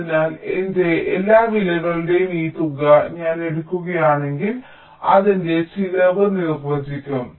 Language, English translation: Malayalam, so if i take this sum of all the weights, that will define my cost